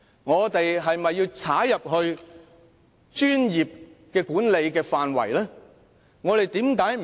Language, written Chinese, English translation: Cantonese, 我們是否要踏入專業管理的範圍？, Do we have to intervene in the area of professional management?